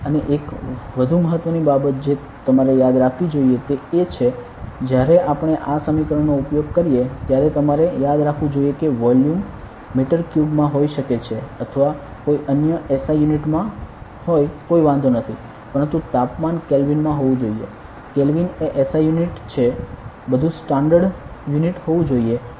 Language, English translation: Gujarati, And one more important thing that you have to remember is when we use these equations you should remember that volume can be in meter cube or any other SI unit does not matter, but the temperature should be in Kelvin; Kelvin is the SI unit of everything should be in a standard unit ok